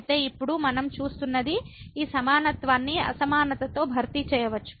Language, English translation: Telugu, So, what we see now we can replace this equality by the inequality